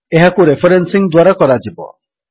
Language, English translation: Odia, This will be done by referencing